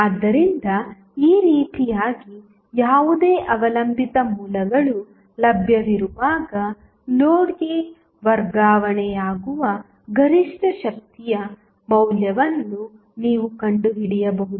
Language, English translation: Kannada, So, in this way, you can find out the value of maximum power being transferred to the load when any dependent sources available